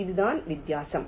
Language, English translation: Tamil, this is what is the difference